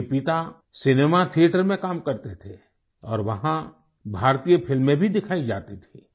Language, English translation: Hindi, His father worked in a cinema theatre where Indian films were also exhibited